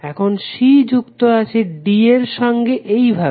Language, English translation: Bengali, Now c is connected to d in this fashion here c is connected to d in this fashion and here c is connected to d in this fashion